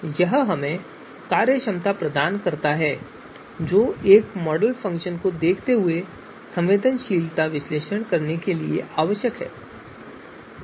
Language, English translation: Hindi, So this gives us the functionality that is required for us to perform sensitivity analysis given a model function